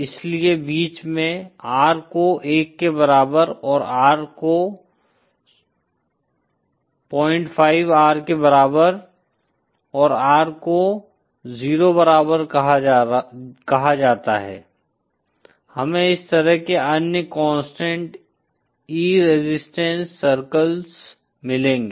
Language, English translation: Hindi, 5, R equal to 1 and R equal to 0, we will get other constant E resistance circles like this